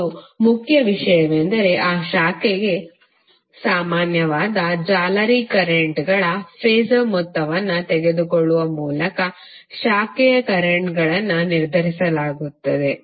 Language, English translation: Kannada, And the important thing is that branch currents are determined by taking the phasor sum of mesh currents common to that branch